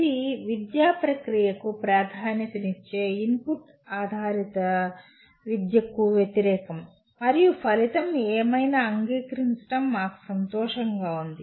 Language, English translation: Telugu, It is the opposite of input based education where the emphasis is on the educational process and where we are happy to accept whatever is the result